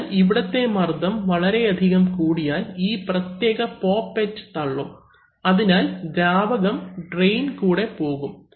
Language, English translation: Malayalam, So, if the pressure here increases too much then this particular poppet, this will push up and therefore the fluid will pass through the drain